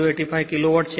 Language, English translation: Gujarati, 085 kilo watt